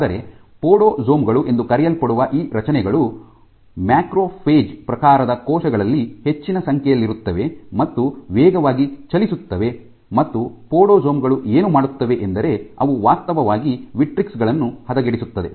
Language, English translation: Kannada, But you have also these structures called podosomes which are present a lot in macrophage type of cells which are fast moving and what podosomes do that they actually degrade the vitrics